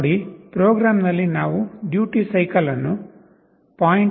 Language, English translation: Kannada, See, in the program we have set the duty cycle to 0